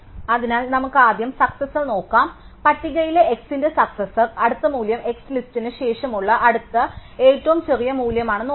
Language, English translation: Malayalam, So, let us first look at successor, so recall that the successor of x in the list, supposed to be the next value, the next smallest value after x the list